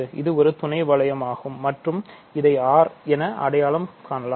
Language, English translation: Tamil, So, this is a sub bring and R can be identified with this